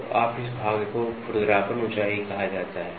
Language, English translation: Hindi, So, this portion is called as roughness height